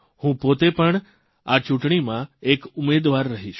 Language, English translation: Gujarati, I myself will also be a candidate during this election